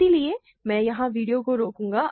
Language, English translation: Hindi, So, I will stop the video here